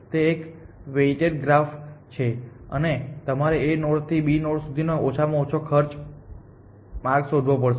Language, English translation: Gujarati, It is a weighted graph and you have to find the least cost path from one node to another nod